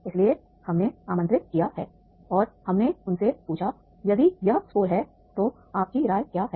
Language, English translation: Hindi, So we have invited and we asked them that is if this is the score, what is your opinion